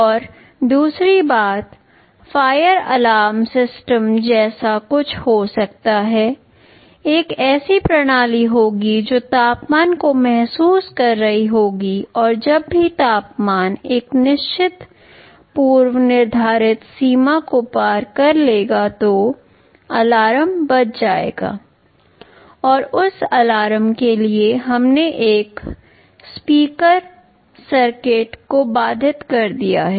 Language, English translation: Hindi, And secondly, there can be something like a fire alarm system, there will be a system which will be sensing the temperature and whenever the temperature crosses a certain preset threshold an alarm that will be sounded, and for that alarm we have interfaced a speaker circuit